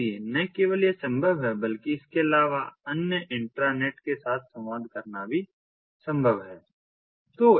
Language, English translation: Hindi, but additionally it is also possible to communicate with other intranets, other intranets